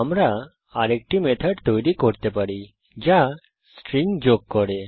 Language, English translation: Bengali, We can create one more method which append strings